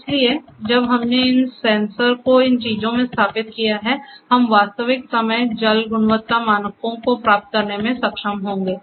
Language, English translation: Hindi, So, when we installed these sensors in these things; so, they we will be able to getting the real time water quality parameters as well